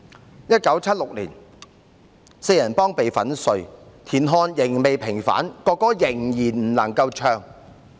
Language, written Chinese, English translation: Cantonese, 在1976年，四人幫被粉碎，田漢仍未平反，國歌仍然不能唱。, In 1976 the Gang of Four were crushed TIAN Han had yet to be vindicated and the national anthem still could not be sung